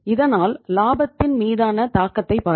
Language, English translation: Tamil, Now look at the impact up on the profitability